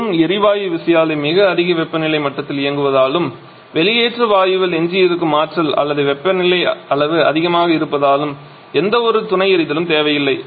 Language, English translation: Tamil, Simply because the gas turbine is operating at a much higher temperature level and energy or left in the exhaust gas or is temperature level is significantly higher so that there is no need of any supplementary firing